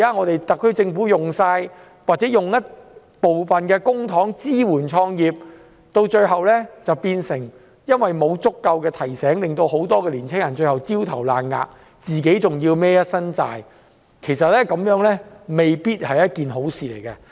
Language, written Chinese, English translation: Cantonese, 特區政府用公帑支援創業，但因為沒有足夠提醒，令很多青年人最後焦頭爛額，還要負一身債務，這樣未必是好事。, In the absence of sufficient reminder it may not be a good idea for the SAR Government to spend public money on supporting entrepreneurship because many young entrepreneurs may end up failing in their business and become debt - ridden